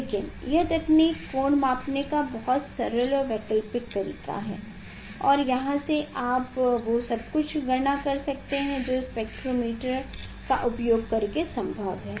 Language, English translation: Hindi, But this technique is very simple and alternative technique how to measure the angle and from there you can do the calculate the thing whatever possible using the spectrometer